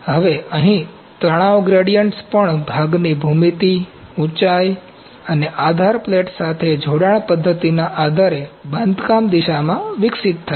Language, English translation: Gujarati, Now, here stress gradients also develop in the build direction depending upon the part geometry height and the connection method to the base plate